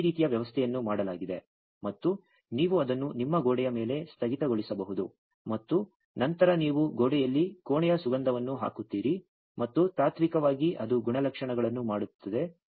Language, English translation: Kannada, But this kind of arrangement was made, and you can hang it on your wall, and then you put a room fragrance in the wall and in principle it will do the characteristics